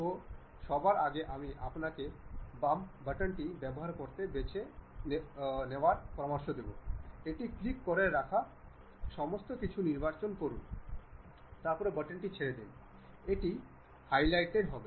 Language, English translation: Bengali, So, first of all I have selected you use left button, click that hold select everything, then leave the button then it will be highlighted